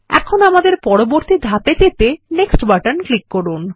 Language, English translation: Bengali, Now let us click on the Next button to proceed